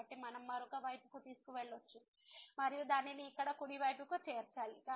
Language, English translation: Telugu, So, to we can take to the other side and also it has to be added to the right side here